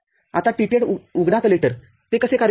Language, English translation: Marathi, Now, TTL open collector how does it work